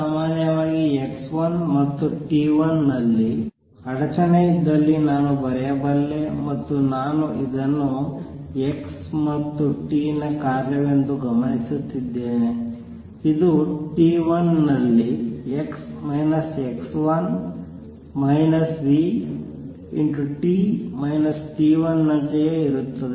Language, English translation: Kannada, In general, I can write if there was a disturbance at x 1 and t 1 and I am observing it as a function of x and t this would be same as x minus x 1 minus v t minus t 1 at t 1